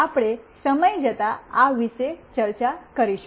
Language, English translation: Gujarati, We will discuss about this in course of time